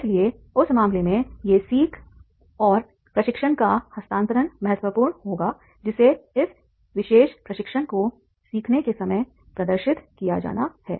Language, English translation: Hindi, So therefore in that case, these learnings will be important in that case and the transfer of training that has to be demonstrated at the time of learning and this particular training